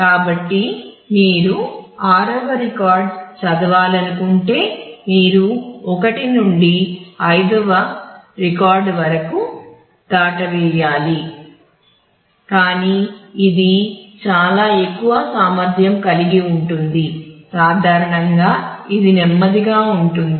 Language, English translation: Telugu, So, if you want to read the 6th record you have to skip of a record 1 to 5, but it can be a very high capacity usually it is slow